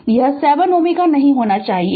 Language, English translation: Hindi, So, this 7 ohm should not be there